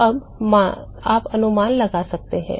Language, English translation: Hindi, Now can you guess